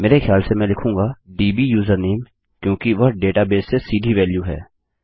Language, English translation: Hindi, I think I will say dbusername because thats a more direct value from the database